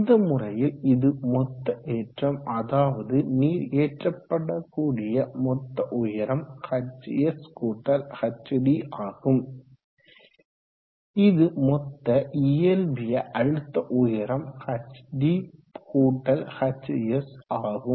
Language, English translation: Tamil, Now in this case the total lift, the water has to be lifted to a total height of hs+hd, and the total physical head is hd+hs